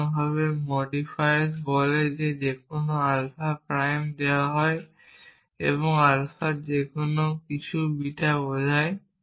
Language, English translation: Bengali, In general modifies says that given any alpha prime and anything of alpha implies beta